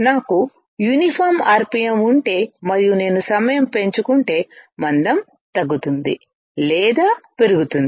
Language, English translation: Telugu, If I have a uniform rpm and if I increase the t ime my thickness will decrease or increase